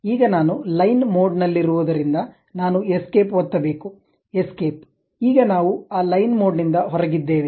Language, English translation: Kannada, Now, because I am online I would like to really come out of that what I have to do press escape, escape, we are out of that line mode